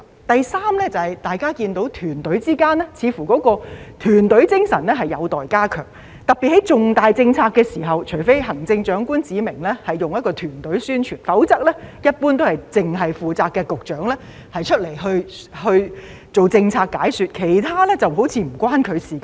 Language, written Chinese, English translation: Cantonese, 第三，大家都看到政府問責團隊之間的團隊精神似乎有待加強，特別是在推行重大政策的時候，除非行政長官指明進行團隊宣傳，否則一般來說，只有負責該項政策的局長出來做政策解說，其他局長則好像抱着與他無關的態度一般。, Third as Members can see the team spirit among members of the accountability team of the Government probably needs to be strengthened particularly during the introduction of some major policies . Unless the Chief Executive has made it clear that the publicity work requires team efforts the Secretary in charge of the relevant policy will be the only one coming forward to explain the policy concerned . Other Secretaries will behave as if they have nothing to do with it